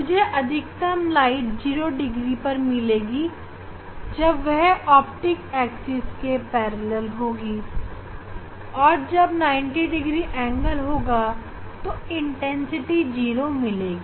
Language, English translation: Hindi, I should get maximum light at 0 degree parallel to the optics axis and then 90 degree it should be 0